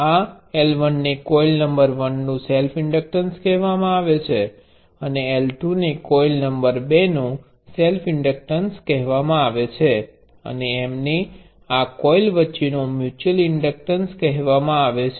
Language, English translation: Gujarati, This L 1 is called the self inductance of coil number one; and L 2 is called self inductance of coil number two; and the M is called the mutual inductor between these coils